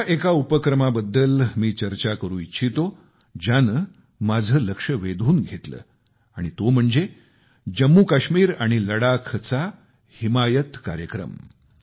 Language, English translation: Marathi, I would like to discuss one such initiative that has caught my attention and that is the 'Himayat Programme'of Jammu Kashmir and Ladakh